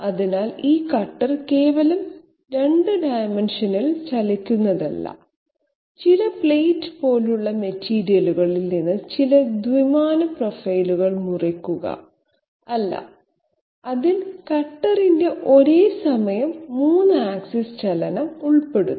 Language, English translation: Malayalam, So it is not simply the cutter moving around in 2 dimensions and cutting out some two dimensional profile out of some say plate like material, et cetera, no, it involves simultaneous 3 axis motion of the cutter